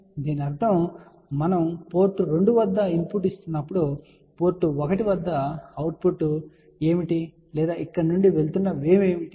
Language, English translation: Telugu, So, this means that when we are giving input at port 2 what is the output at port 1 or what is the wave going out here